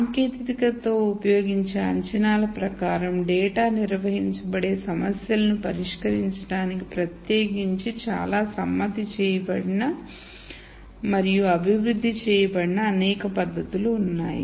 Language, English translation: Telugu, There are many techniques which are ne tuned and developed particularly to solve problems where data is organized according to the assumptions that are used in the technique